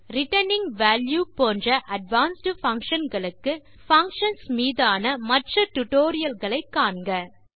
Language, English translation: Tamil, For advanced functions, like returning value, please check the other tutorials on functions